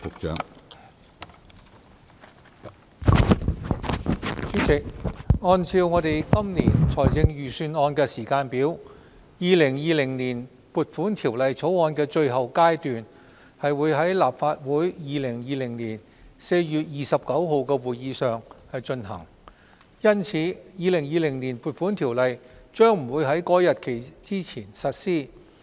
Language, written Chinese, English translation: Cantonese, 主席，按照今年財政預算案的時間表，《2020年撥款條例草案》的最後階段將於2020年4月29日的立法會會議上進行，因此《2020年撥款條例》將不會於該日期前實施。, President according to the schedule for the Budget of this year the final proceedings on the Appropriation Bill 2020 will be conducted at the Council meeting of 29 April 2020 so the Appropriation Ordinance 2020 will not come into effect before that date